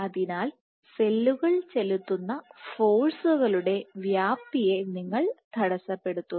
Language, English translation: Malayalam, So, you are perturbing the amount of magnitude of the forces which the cells were exerting